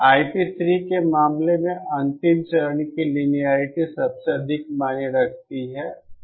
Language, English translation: Hindi, In the case of I p 3, the linearity of the last stage matters the most